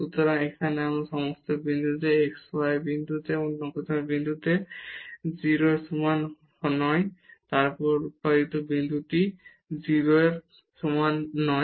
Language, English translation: Bengali, So, here at all these points the x y the product is not equal to 0 at any other point then origin the product is not equal to 0